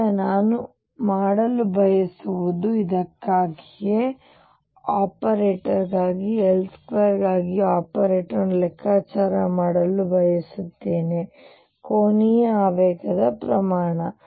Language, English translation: Kannada, Now, what I want to do is from this I want to calculate the operator for operator for L square the magnitude of the angular momentum